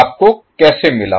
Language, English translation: Hindi, How you got